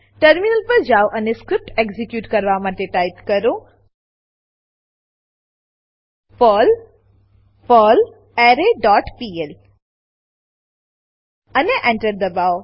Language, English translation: Gujarati, Switch to the terminal and execute the script as perl perlArray dot pl and press Enter